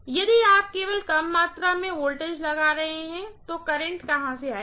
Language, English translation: Hindi, If you are applying only less amount of voltage, where will the current come from